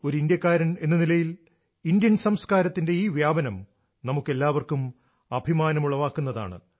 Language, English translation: Malayalam, The dissemination of Indian culture on part of an Indian fills us with pride